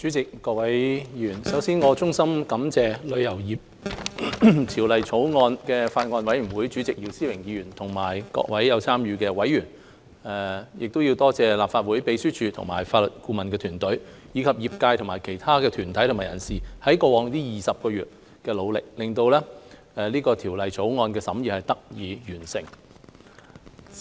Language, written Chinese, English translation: Cantonese, 代理主席、各位議員，首先，我要衷心感謝《旅遊業條例草案》委員會主席姚思榮議員及各位有參與的委員、立法會秘書處和法律顧問團隊，以及業界和其他團體和人士，在過去20個月的努力，令《旅遊業條例草案》的審議工作得以完成。, Deputy President Honourable Members first of all I must express my wholehearted thanks to Mr YIU Si - wing Chairman of the Bills Committee on the Travel Industry Bill participating members of the Bills Committee the Legislative Council Secretariat and its team of legal advisors members of the travel industry and other groups and individuals for their efforts during the past 20 months which have made the completion of the scrutiny of the Travel Industry Bill the Bill possible